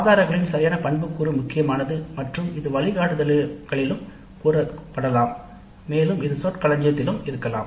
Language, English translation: Tamil, So, proper attribution of sources is also important and this can also be stated in the guidelines and it can be there in the rubrics